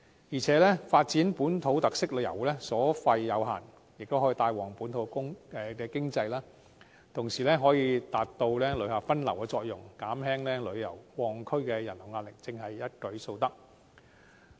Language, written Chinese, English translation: Cantonese, 而且，發展本土特色遊所費有限，亦可帶旺本土經濟，同時可以發揮旅客分流的作用，減輕旅遊旺區的人流壓力，真是一舉數得。, Moreover the expenses on developing such tours are not too high and the merits include stimulating the local economy diverting visitors to reduce pressure of visitor flows in popular tourist districts; we can really achieve many things at one stroke